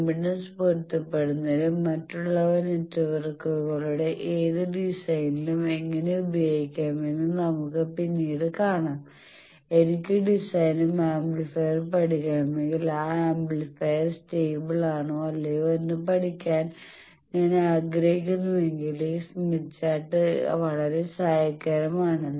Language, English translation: Malayalam, Also will see later also in impedance matching and others in any design of networks we can do that later you will see that if I want to study design and amplifier and I want to study whether that amplifier is stable or not then also this smith chart is helpful